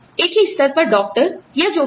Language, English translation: Hindi, Doctors at the same level, or whatever